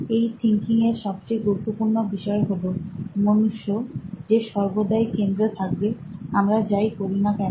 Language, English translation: Bengali, The most important part of this type of thinking is that the human is right at the centre of whatever we do here